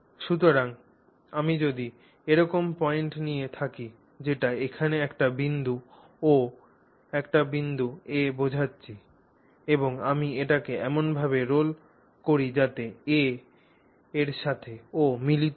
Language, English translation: Bengali, So if I have taken a point O, I mean a point O here and a point A here and I roll it such that that O coincides with A, right